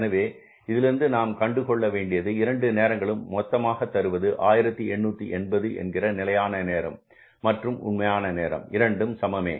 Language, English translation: Tamil, So, we could find out that both the times, both the hours that is 1 880 is equal to the, means standard time is equal to the actual time